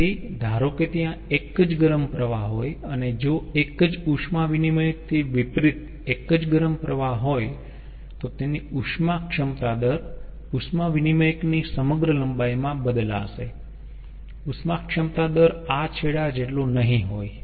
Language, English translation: Gujarati, and if there is a single hot stream, unlike a single heat exchanger, its heat capacity rate will change ah throughout the ah length of the heat exchanger